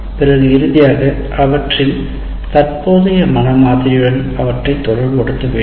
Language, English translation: Tamil, And then finally relate them to their existing mental mode